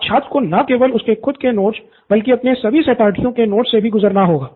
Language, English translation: Hindi, Now he has to go through not his notes alone, but all his classmates’ notes as well